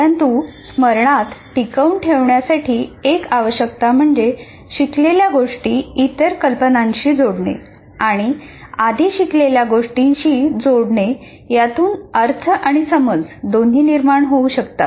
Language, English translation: Marathi, But one of the requirements of retention is linking them in a way that relates ideas to other ideas and to prior learning and so creates meaning and understanding